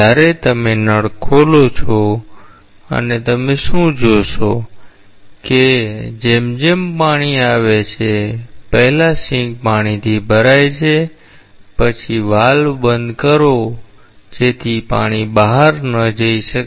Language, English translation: Gujarati, So, you open the tap and what you will see, that as it comes, so the sink is first say you fill up, the sink first with water close the valve so that the water cannot go out